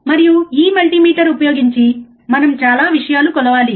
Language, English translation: Telugu, And we have measure a lot of things using this multimeter